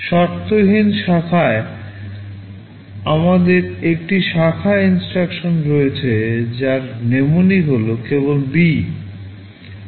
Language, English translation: Bengali, In unconditional branch, we have an instruction called branch whose mnemonic is just B